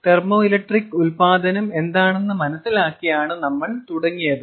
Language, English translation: Malayalam, we started with understanding what thermoelectric generation is